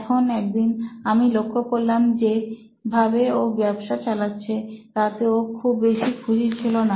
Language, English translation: Bengali, Now I one day noticed that he was not too happy with the way his business was being run